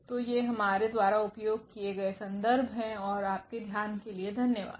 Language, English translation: Hindi, So, these are the references we have used and thank you for your attention